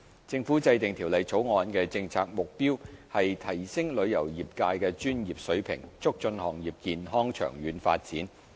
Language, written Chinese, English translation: Cantonese, 政府制定《條例草案》的政策目標，是提升旅遊業界的專業水平，促進行業健康長遠發展。, The Governments policy objectives of formulating the Bill are to enhance the professionalism of the travel trade and foster the healthy long - term development of the industry